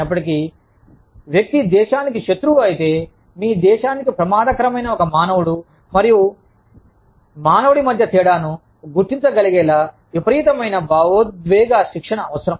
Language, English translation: Telugu, Even, if the person is an enemy of the country, i think, requires a tremendous amount of emotional training, to be able to differentiate, between a human being, and a human being, who could be dangerous for your country